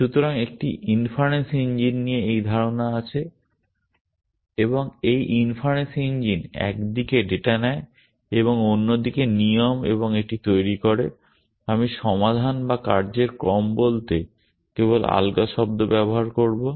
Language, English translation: Bengali, And this inference engine takes on the one hand data and on the other hand rules and it generates the, I will just use the loose term to say the solution or a sequence of actions